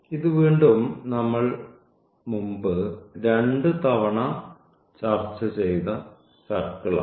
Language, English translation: Malayalam, So, this is again the circle which we have discussed a couple of times before